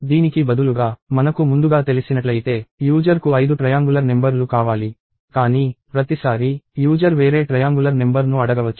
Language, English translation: Telugu, Instead, if we know upfront that, the user wants five triangular numbers; but, each time, the user may ask for a different triangular number